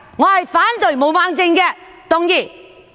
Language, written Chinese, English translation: Cantonese, 我反對毛孟靜議員動議的議案。, I oppose the motion moved by Ms Claudia MO